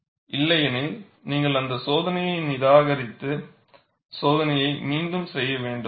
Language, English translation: Tamil, Otherwise you have to reject the test, and redo the test